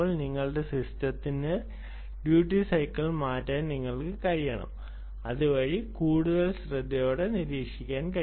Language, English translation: Malayalam, you should be able to change the duty cycle of your system such that it is able to monitor much more aggressively